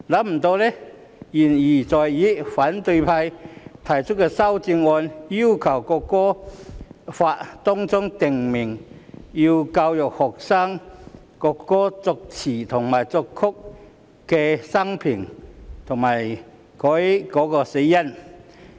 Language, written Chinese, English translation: Cantonese, 沒想到言猶在耳，反對派提出的修正案，竟要求《條例草案》訂明學校須教育學生國歌作詞人及作曲人的生平及死因。, While such words are still ringing in our ears the opposition camp has proposed an amendment to the Bill to require that the biography and cause of death of the lyricist and the composer of the national anthem be educated in schools